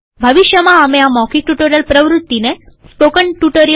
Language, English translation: Gujarati, We plan to coordinate the spoken tutorial activity in the future through spoken tutorial